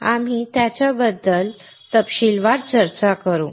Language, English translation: Marathi, We will discuss them in detail